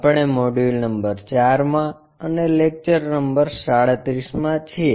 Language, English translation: Gujarati, We are in Module number 4 and Lecture number 37